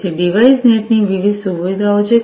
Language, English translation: Gujarati, So, there are different features of DeviceNet